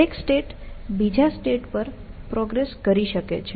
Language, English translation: Gujarati, So, a state could progress over another state